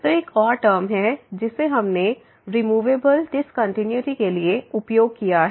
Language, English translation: Hindi, So, there is another term we used for removable discontinuity